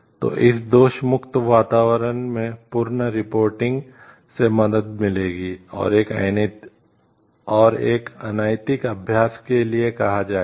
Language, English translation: Hindi, So, at this blame free environment would help in like reporting the full and, say for a unethical practices